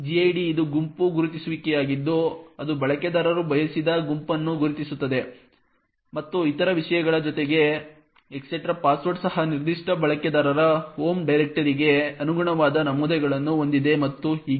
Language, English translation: Kannada, gid which is a group identifier which identifies the group in which the user wants to and it also along with other things the /etc/password also has entries corresponding to the home directory of that particular user and so on